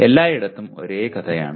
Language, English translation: Malayalam, It is the same story everywhere